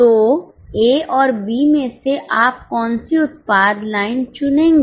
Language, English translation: Hindi, So out of A and B, which product line will you choose